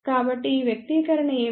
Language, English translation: Telugu, So, what is this expression all about